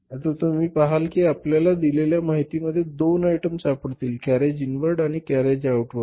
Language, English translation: Marathi, Now you see you will find two items in the information given carriage inward and carriage outward